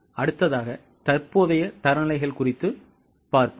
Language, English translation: Tamil, Now the next one is known as current standards